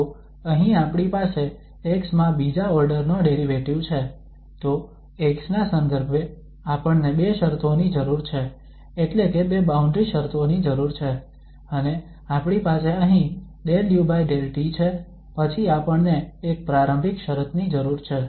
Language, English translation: Gujarati, So here we have second order derivative in x, so we need two conditions with respect to x that means two boundary conditions are needed, and we have here del u over del t then we need one initial condition